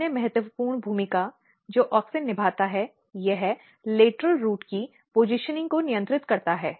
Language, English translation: Hindi, Another important role what auxin plays here, it regulates the positioning of lateral root